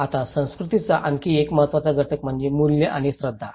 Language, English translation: Marathi, Now, another important component of culture is the values and beliefs okay